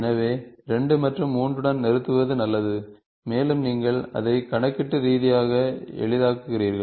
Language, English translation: Tamil, So, it is better to stop with 2 and 3 and you also make it computationally little easy